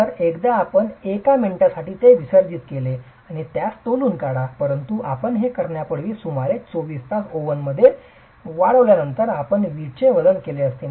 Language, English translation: Marathi, But before you do that, you would have actually weighed the brick after drying it in an oven for about 24 hours